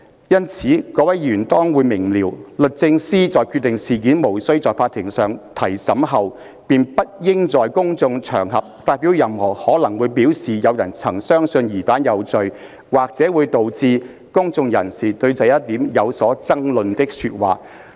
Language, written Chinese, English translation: Cantonese, 因此，各位議員當會明瞭，律政司在決定事件無須在法庭上提審後，便不應在公眾場合發表任何可能會表示有人曾相信疑犯有罪、或者會導致公眾人士對這一點有所爭論的說話。, So Members will readily appreciate that it would be quite wrong for any Attorney General having decided that the issue should not proceed to trial in the courts to say anything in public that might be taken to indicate a belief in the suspects guilt or which might lead to a public discussion of that very question